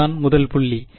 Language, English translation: Tamil, That is the first point yeah